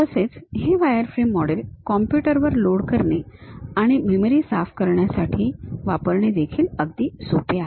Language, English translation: Marathi, These wireframe models are easy to load it on computer and clear the memory also